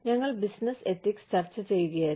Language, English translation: Malayalam, We were discussing, Business Ethics